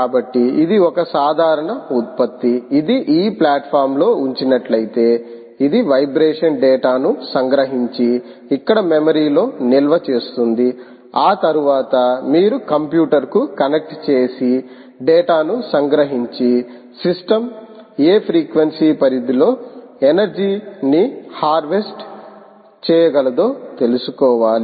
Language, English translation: Telugu, so if i do this, ah, so this is a simple product ah, which will allow you, if placed on that platform, it should capture the vibration data and store it on some ah memory here, after which you connected to a computer and extract the data and actually find out what, where, all the range of frequencies over which the system is harvesting ah energy from